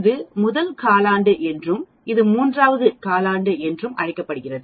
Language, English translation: Tamil, This is called the first quartile and this is called the third quartile